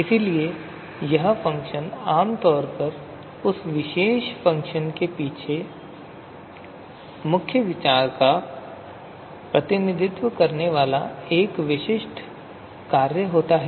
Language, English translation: Hindi, So that function is typically the a characteristic function representing the you know main idea behind you know that particular function